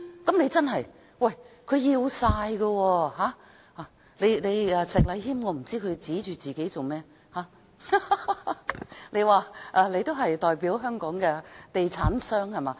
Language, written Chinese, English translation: Cantonese, 我不知道石禮謙議員為何指着自己，你的意思是說你代表香港的地產商，是嗎？, I wonder why Mr Abraham SHEK is pointing at himself . You mean you stand for the real estate developers in Hong Kong dont you?